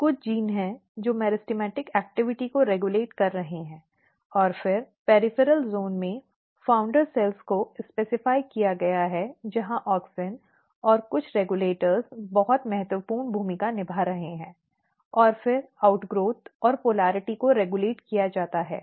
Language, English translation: Hindi, So, there is a meristematic activity some of the genes which is regulating meristematic activity, and then in the peripheral zone the founder cells has been specified where auxin and some of the regulators are playing very important role and then outgrowth and polarity is regulated